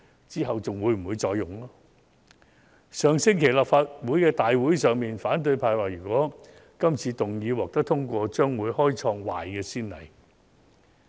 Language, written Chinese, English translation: Cantonese, 在上星期的立法會大會上，反對派表示如果議案獲得通過，將會開創壞先例。, At the Council meeting last week the opposition camp asserted that the passage of the motion would set an undesirable precedent